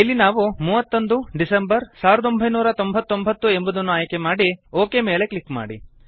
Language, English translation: Kannada, Here we will choose 31 Dec, 1999 and click on OK